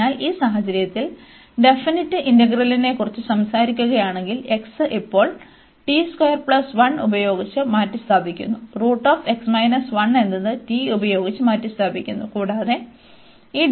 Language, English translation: Malayalam, So, in this case this integral so if we talk about this in definite integral, so 1 over the x is replaced by 1 plus t square now, and this is square root x minus 1 is replaced by t, and this dx by 2 t into dt